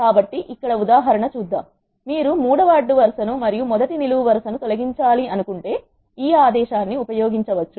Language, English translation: Telugu, So, let us see the example here now from the data frame we have if you want to delete the third row and the first column that can be done using this command